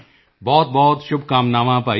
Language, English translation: Punjabi, Many good wishes Bhaiya